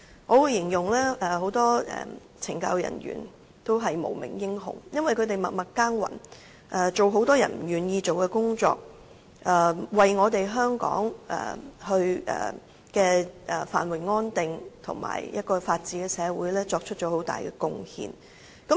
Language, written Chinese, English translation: Cantonese, 我會形容很多懲教人員也是無名英雄，因為他們默默耕耘，做很多人不願意做的工作，為香港的繁榮安定和法治的社會作出很大貢獻。, I will say that many CSD staff are the unsung heroes . They work silently and take up jobs many people do not want to do . They make great contributions for Hong Kongs prosperity and stability as well as the rule of law in Hong Kong